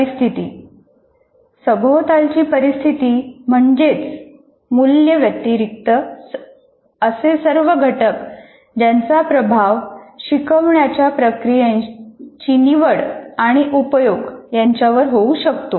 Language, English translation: Marathi, Conditions, all factors related to the context other than values that have influence on the choice and use of instructional methods